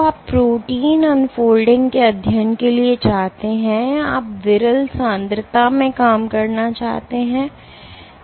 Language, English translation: Hindi, So, you want to for protein unfolding studies, you want to operate at sparse concentrations